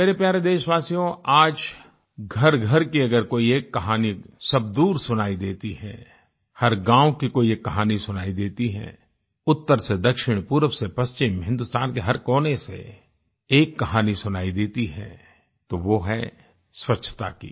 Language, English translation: Hindi, My dear countrymen, today, if one story that rings from home to home, and rings far and wide,is heard from north to south, east to west and from every corner of India, then that IS the story of cleanliness and sanitation